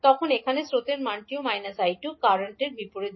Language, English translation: Bengali, But here the value of current is also minus of I2 because the direction of current is opposite